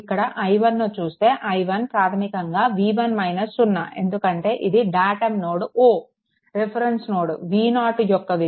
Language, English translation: Telugu, If you see i 1, here i 1 is equal to your basically v 1 minus 0 because this is a node that is referrence that is your reference node v 0 is 0